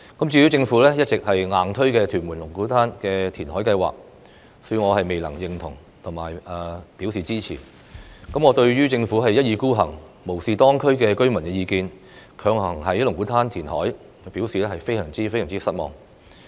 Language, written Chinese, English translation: Cantonese, 至於政府一直"硬推"的屯門龍鼓灘填海計劃，恕我未能表示認同及支持。對於政府一意孤行，無視當區居民的意見，強行在龍鼓灘填海，我表示非常失望。, I do not agree with and support the Lung Kwu Tan reclamation plan forcibly pushed by the Government and I am very disappointed to see the Government ride roughshod over the opinions of local residents and forcibly reclaim land at Lung Kwu Tan